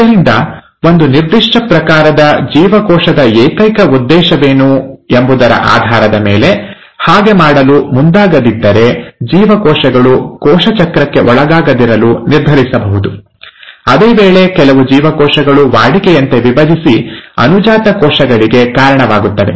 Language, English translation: Kannada, So, depending upon what is the sole purpose of a given type of cell, lot of cells may choose not to undergo cell cycle unless pushed to do so; while certain cells have to routinely divide and give rise to daughter cells